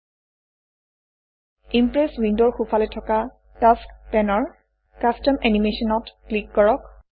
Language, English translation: Assamese, From the right side of the Impress window, in the Tasks pane, click on Custom Animation